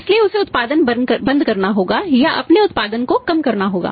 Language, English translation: Hindi, So, he has to stop the production or he as to lower down his production